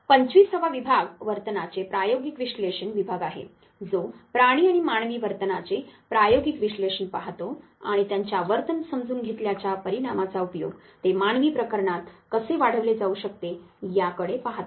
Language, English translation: Marathi, The 25th division is the experimental analysis of behavior, which looks at experimental analysis of animal and human behavior and application of the results of such understanding of animal human behavior how it can be extended it to human affairs